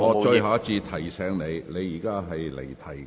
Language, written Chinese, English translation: Cantonese, 我最後一次提醒你，你已離題。, Let me remind you for the last time that you have digressed